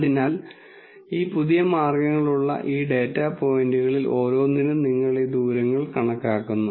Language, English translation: Malayalam, So, for each of these data points with these new means you calculate these distances